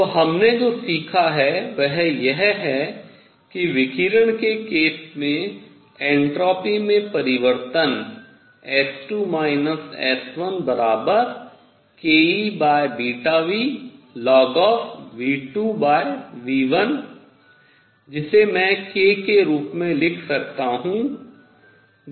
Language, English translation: Hindi, So, what we have learnt is that in case of radiation the change in entropy S 2 minus S 1 came out to be k E over beta nu log of V 2 over V 1, we know the value of beta is h